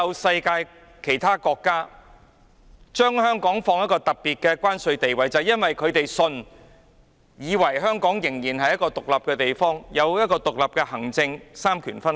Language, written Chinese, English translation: Cantonese, 世界上所有國家認同香港有特別的關貿地位，因為他們相信，香港仍然是一個獨立的地方，行政獨立，三權分立。, Many countries in the world recognize Hong Kongs unique trading status as they believe that Hong Kong is still an independent place with independent administration and separation of powers